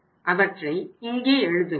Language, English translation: Tamil, We will write here